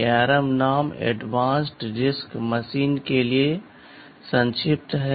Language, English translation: Hindi, The name ARM is the acronym for Aadvanced RISC Mmachine